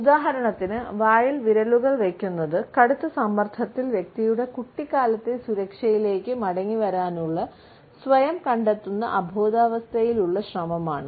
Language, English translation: Malayalam, For example, fingers in mouth is an unconscious attempt by the person, who is finding himself under tremendous pressure to revert to the security of a childhood